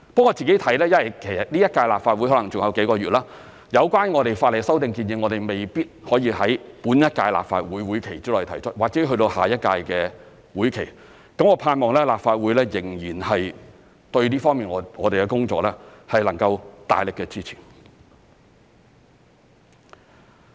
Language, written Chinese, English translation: Cantonese, 我自己看，因為這屆立法會還有幾個月，有關法例修訂建議未必可以在本屆立法會會期內提出，或者要去到下一屆的會期，我盼望立法會對我們這方面的工作仍然能夠大力的支持。, In my view with only a few months left in the current term of the Legislative Council the proposed legislative amendments may have to be introduced in the next term of the Legislative Council rather than the current term . I hope that the Legislative Council will still give strong support to our work by then